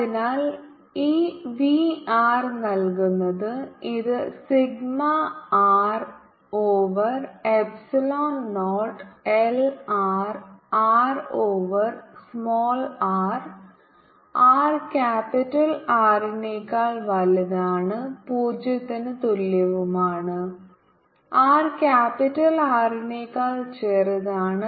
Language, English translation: Malayalam, r is given by this: is sigma r over epsilon, not i lined vector a lined are over smaller, for r is greater than capital r and equal to zero, for r is smaller than capital r